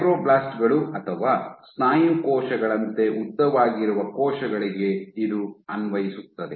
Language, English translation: Kannada, This is applicable for cells which are elongated like fibroblasts or muscle cells